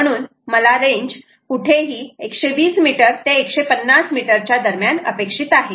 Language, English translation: Marathi, so i expect anywhere between one twenty metres and one fifty metres